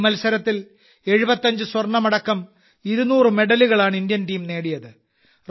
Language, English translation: Malayalam, In this competition, the Indian Team won 200 medals including 75 Gold Medals